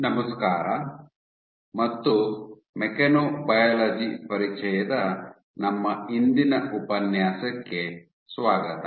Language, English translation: Kannada, Hello, and welcome to our todays lecture of Introduction to Mechanobiology